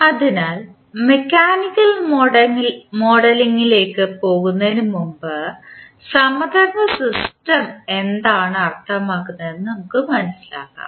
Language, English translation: Malayalam, So, before proceeding to the mechanical modeling, let us understand what the analogous system means